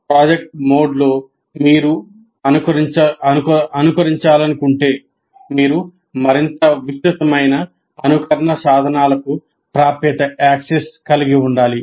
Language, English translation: Telugu, In a project mode if you want, you have to have access to a bigger, more elaborate simulation tools